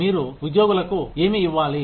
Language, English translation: Telugu, What do you need to give them